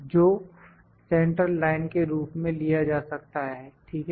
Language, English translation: Hindi, That can be taken as the central line, ok